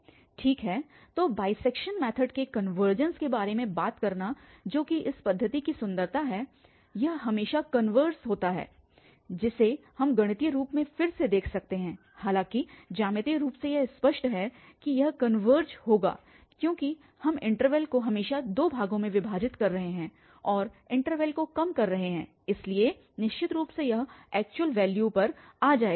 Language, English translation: Hindi, Well, so talking to the convergence of the bisection method which is the beauty of this method is that it always converges which we can see again mathematically though geometrically it is clear that it will converge because we are bisecting the interval always into two parts and narrowing down the intervals so certainly it will go